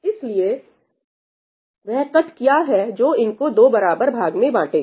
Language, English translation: Hindi, So, what is the cut that divides it into 2 equal halves